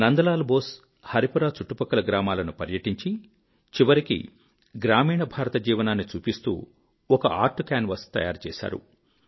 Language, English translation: Telugu, Nandlal Bose toured villages around Haripura, concluding with a few works of art canvas, depicting glimpses of life in rural India